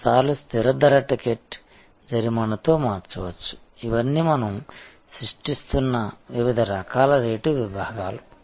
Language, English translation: Telugu, Sometimes a fixed price ticket may be changeable with a penalty, these are all different types of rate buckets that we are creating